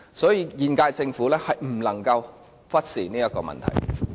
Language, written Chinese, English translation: Cantonese, 所以，現屆政府不能忽視這個問題。, For this reason the current - term Government cannot neglect this issue